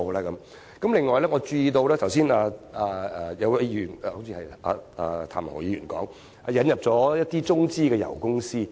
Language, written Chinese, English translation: Cantonese, 此外，剛才有一位議員——好像是譚文豪議員——提及香港引入了一些中資油公司。, Furthermore a Member―I guess it is Mr Jeremy TAM―just mentioned the introduction of some China - affiliated oil companies into Hong Kong